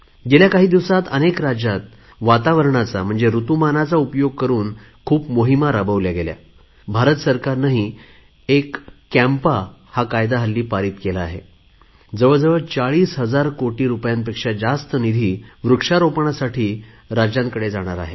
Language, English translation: Marathi, Some days ago, a few states taking advantage of this weather have started many campaigns in this direction and the Government of India has also passed CAMPA law, under which about 40 thousand crores rupees will go to the states for planting trees